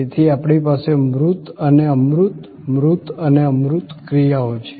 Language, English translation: Gujarati, So, we have tangible and intangible, tangible actions and intangible actions